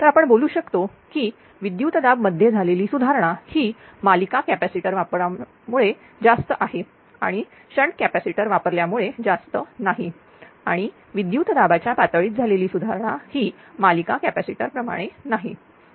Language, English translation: Marathi, So, your what you call that your voltage ah improvement using series capacitor is much higher and do not much in the shunt capacitor also improve the voltage level but not like the series capacitor right